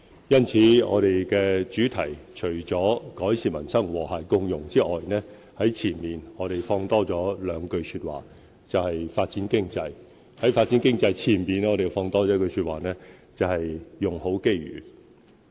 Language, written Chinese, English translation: Cantonese, 因此，施政報告的主題除了"改善民生和諧共融"之外，在前面亦增加了一句，就是"發展經濟"；在"發展經濟"前面，我們再增加一句，就是"用好機遇"。, Therefore regarding the theme of the Policy Address the phrase Develop the Economy precedes Improve Peoples Livelihood Build an Inclusive Society and the phrase Make Best Use of Opportunities comes before Develop the Economy